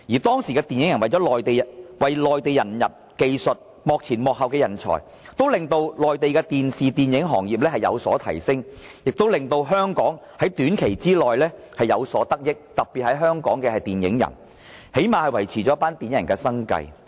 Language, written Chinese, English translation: Cantonese, 當時香港電影人為內地引入技術和幕前幕後人才，令內地的電視、電影行業製作水平有所提升，更令香港在短期內有所得益——特別是香港的電影人，最少維持了他們的生計。, The entry of Hong Kong film workers at that time brought various film - making techniques production experts and screen acting talents to the Mainland thus raising its standard of television and film production . And at the same time Hong Kong―especially its film workers―was able to get certain immediate benefits . At least this could help them make a living